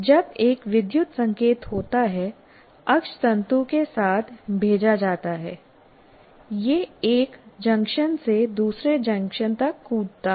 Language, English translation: Hindi, When an electrical signal is sent along the axon, what it does is it kind of jumps from here to the next junction from here to this